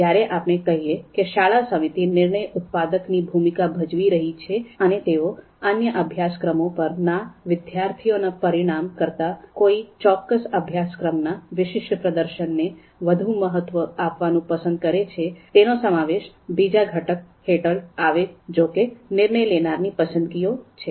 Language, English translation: Gujarati, Then decision maker’s preferences, so when we said that school committee is playing the role of decision maker and they might prefer to value a particular performance on a particular course more than the performance of the students on other courses, so that would actually be come under this second component which is decision maker’s preferences